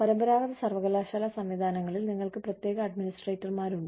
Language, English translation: Malayalam, In, traditional university systems, you have separate administrators